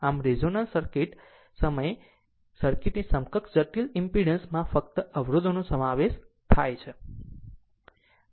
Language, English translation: Gujarati, So, so, thus at resonance the equivalent complex impedance of the circuit consists of only resistance right